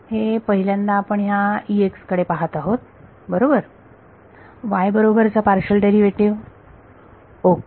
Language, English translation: Marathi, This is the first time we are looking at E x right the partial derivative with respect to y ok